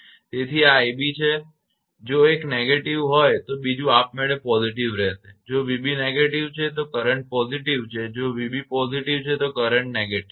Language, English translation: Gujarati, So, this is i b if one is negative another will be automatically positive if v b is negative current is positive if v b is positive then current is negative right